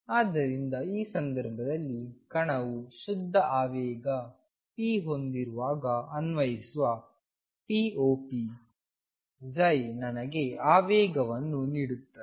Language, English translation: Kannada, So, in this case when the particle has a pure momentum p applying p operator on psi gives me that momentum